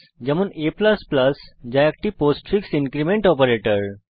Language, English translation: Bengali, a++ which is postfix increment operator